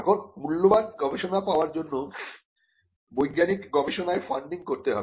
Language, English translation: Bengali, Now, for valuable research to happen, there has to be funding in scientific research